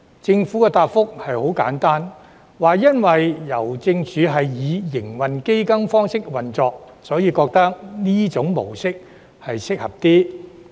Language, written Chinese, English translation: Cantonese, 政府的答覆很簡單，因為郵政署是以營運基金方式運作，故此覺得這種模式較適合。, The Governments response was very simple since Hongkong Post operates as a trading fund this is a more suitable way